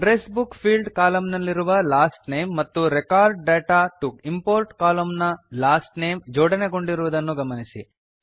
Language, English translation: Kannada, Notice, that the Last Name on the Address Book fields column and the Last Name on the Record data to import column are now aligned